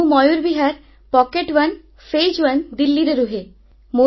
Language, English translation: Odia, I reside in Mayur Vihar, Pocket1, Phase I, Delhi